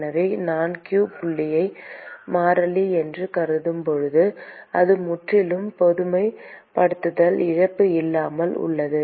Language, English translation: Tamil, So, when I assume q dot as constant, it is completely without loss of generalization